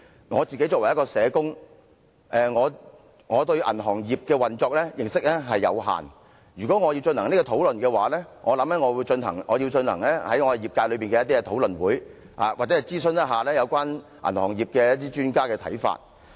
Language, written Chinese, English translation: Cantonese, 我作為一名社工，對銀行業的運作認識有限，如果要進行這項討論，我想我要進行業界內的討論會，又或諮詢銀行業一些專家的看法。, As a social worker I have limited knowledge of banking operation . If I have to discuss this Bill I guess I would hold discussions with the industry or consult the views of some banking experts